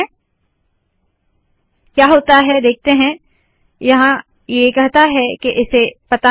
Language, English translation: Hindi, What happens now, here it says that it doesnt know that